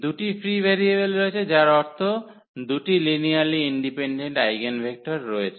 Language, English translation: Bengali, So, there are two free variables, meaning 2 linearly independent eigenvectors